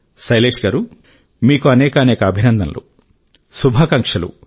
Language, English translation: Telugu, " Well, Shailesh ji, heartiest congratulations and many good wishes to you